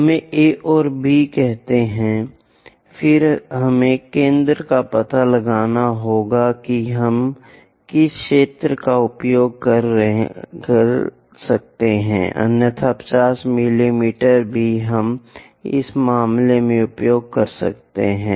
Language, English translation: Hindi, Let us call A and B; then we have to locate center which bisectors we can use it otherwise 50 mm also we can use in this case